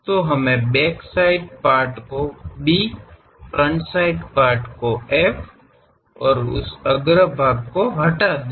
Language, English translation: Hindi, So, let us call back side part B, front side part F; remove this front side part